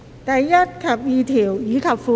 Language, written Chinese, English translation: Cantonese, 第1及2條，以及附表。, Clauses 1 and 2 and the Schedule